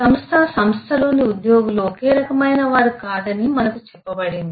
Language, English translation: Telugu, we were told that the organization, the employees in the organization are not of the same kind